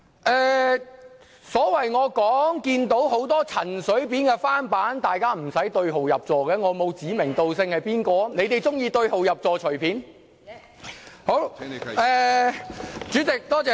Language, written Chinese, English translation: Cantonese, 我在發言中表示看到很多陳水扁的翻版，但大家無須對號入座，我並沒有指名道姓；如他們喜歡對號入座，請悉隨尊便。, I have said in my speech that I could see many clones of CHEN Shui - bian here but there is no need for Members to make it personal since I have not named them directly